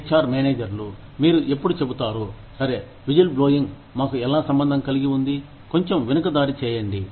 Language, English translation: Telugu, HR managers, when, you will say, okay, how is whistleblowing, related to let us, backtrack a little bit